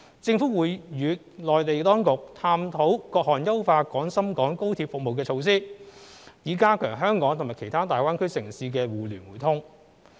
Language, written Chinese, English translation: Cantonese, 政府會與內地當局探討各項優化廣深港高鐵服務的措施，以加強香港與其他大灣區城市間的互聯互通。, The Government will explore with the relevant Mainland authorities different measures to enhance the XRL service with a view to strengthening the connectivity between Hong Kong and other GBA cities